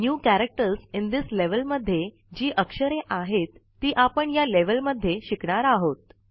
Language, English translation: Marathi, The New Characters in This Level displays the characters we will learn in this level